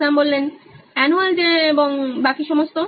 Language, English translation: Bengali, Shyam: Annual day and all